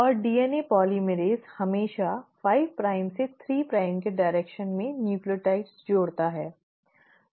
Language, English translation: Hindi, And DNA polymerase always adds nucleotides in a 5 prime to 3 a prime direction